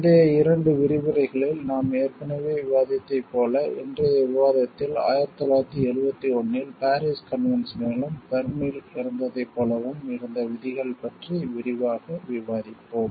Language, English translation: Tamil, In today s discussion as we already discussed in the earlier 2 lectures, we will discuss in details about the provisions which would there in the Paris convention and the like that Berne in 1971